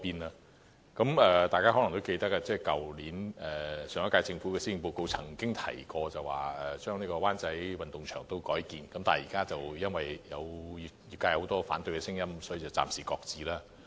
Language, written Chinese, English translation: Cantonese, 大家可能也記得，上一屆政府在去年的施政報告曾經提及將灣仔運動場改建成會展設施，但因為出現很多反對聲音，所以計劃暫時擱置。, Honourable colleagues may remember that the last - term Government announced in the Policy Address of last year the redevelopment of the Wan Chai Sports Ground into CE facilities . But the project was shelved due to vociferous opposition